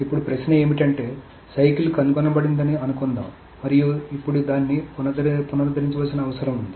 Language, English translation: Telugu, So, the question now is, suppose the cycle has been detected and it now needs to be recovered